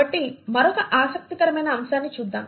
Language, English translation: Telugu, So let us look at this other interesting aspect